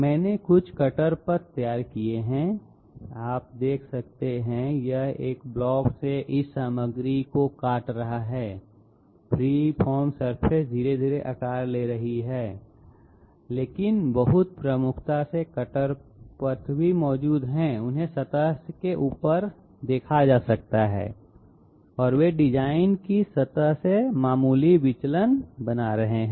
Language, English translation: Hindi, I have drawn some cutter paths, you can see that it is cutting out this material from a block, the 3 the what you call it, the free form surface is gradually taking shape but very prominently the cutter paths are existing, they can be seen on top of the surface and they are creating minor deviations minor deviations from the design surface